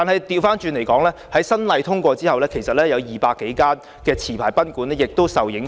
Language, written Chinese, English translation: Cantonese, 不過，在《條例草案》通過後，其實有200多間持牌賓館亦受影響。, But after the passage of the Bill some 200 licensed guesthouses will also be affected